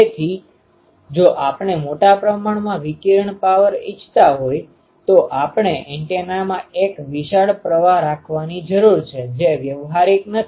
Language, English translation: Gujarati, So, if we want to have a sizable ah amount of power radiated, we need to have a huge current in the antenna, which is not practical